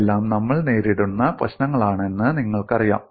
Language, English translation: Malayalam, You know these are all problems that we come across